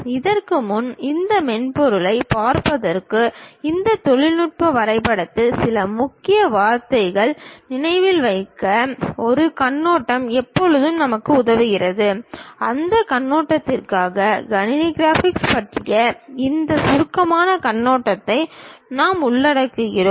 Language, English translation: Tamil, Before, really looking at these softwares, a overview always help us to remember certain keywords of this technical drawing; for that purpose we are covering this brief overview on computer graphics ok